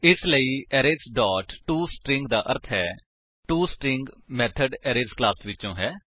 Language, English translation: Punjabi, So, Arrays dot toString means toString method from the Arrays class